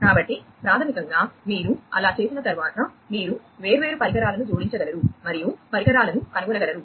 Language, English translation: Telugu, So, basically you know, so once you do that, you would be able to add the different devices and discover devices